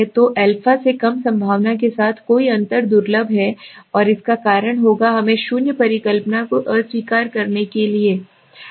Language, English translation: Hindi, So any difference with the probability less than the a is rare and will cause us to reject the null hypothesis, okay